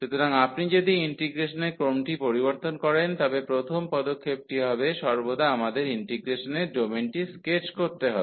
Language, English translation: Bengali, So, if you change the order of integration the first step is going to be always that we have to the sketch the domain of integration